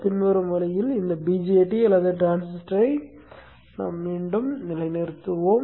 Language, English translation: Tamil, Next what we will do we will further reposition this BJT or a transistor in the following way